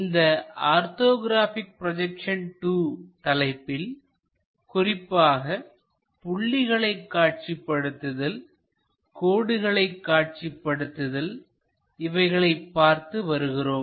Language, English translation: Tamil, In these orthographic projections part 2, we are mainly covering point projections, line projections